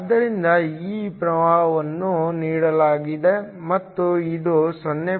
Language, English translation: Kannada, So, this current is given and this is equal to 0